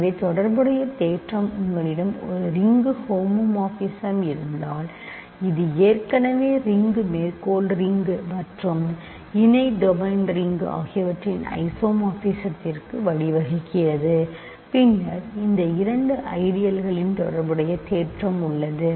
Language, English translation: Tamil, So, remember correspondence theorem says that if you have a ring homomorphism this already leads to an isomorphism of rings, quotient ring and the co domain ring and then there is a correspondence of ideals in these two rings